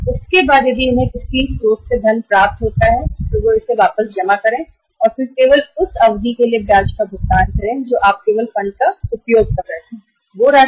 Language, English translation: Hindi, After that if they receive the funds from some source they deposit it back and then only pay the interest for the period you were using the funds and only on that amount which is withdrawn and utilized agreed